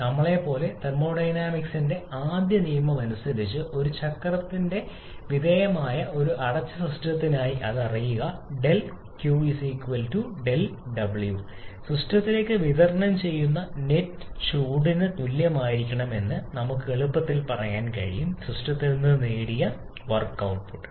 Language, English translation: Malayalam, And as we know that, as per the first law of thermodynamics, for a closed system undergoing a cycle we know that the cyclic integral of del q is equal to cyclic integral of del w from where we can easily say that the net heat supplied to the system has to be equal to net work output that you have obtained from the system